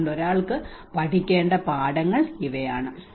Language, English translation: Malayalam, So these are the lessons one has to take it